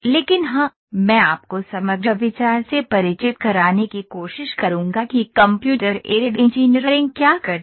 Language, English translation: Hindi, But yes I will try to introduce you to the overall idea what Computer Aided Engineering does